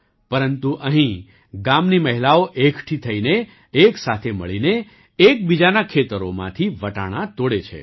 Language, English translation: Gujarati, But here, the women of the village gather, and together, pluck peas from each other's fields